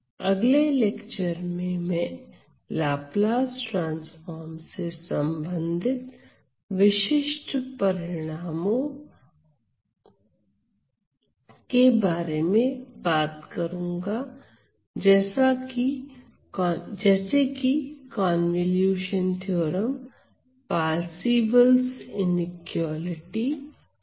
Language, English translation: Hindi, In the next lecture I am going to talk about specific results related to Laplace transform namely the convolution theorem, the Parseval’s inequality which are very important for us to use in some of the examples that we are going to solve using Laplace transform